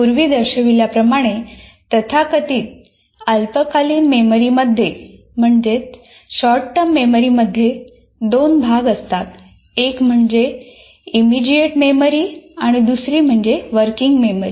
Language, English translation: Marathi, And as we showed, the so called short term memory consists of two parts